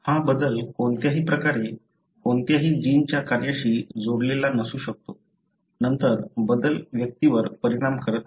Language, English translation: Marathi, It could be a change no way connected to the function of any gene, then the change does not affect the individual